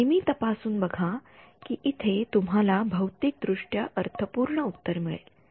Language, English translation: Marathi, Always check that you are getting a physically meaningful solution over here